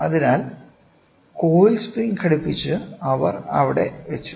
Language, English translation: Malayalam, So, the coil spring hinged and they placed it here